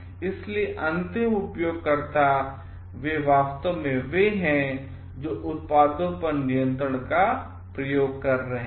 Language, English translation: Hindi, So, they actually it is they who are exercising the control on the products